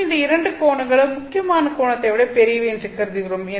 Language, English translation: Tamil, 1 and both these angles are greater than the critical angle